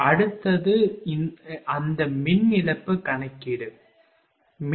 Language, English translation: Tamil, Next is that power loss calculation, right